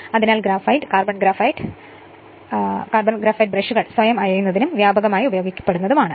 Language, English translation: Malayalam, Therefore graphite and carbon graphite brushes are self lubricating and widely used